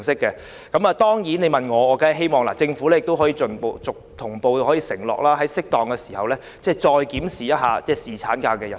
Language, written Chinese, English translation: Cantonese, 如果你問我，我當然希望政府能同步承諾，在適當時候，再檢視侍產假日數。, If you ask me what I think I would tell you that I do hope the Government can also undertake to further review the duration of paternity leave in due course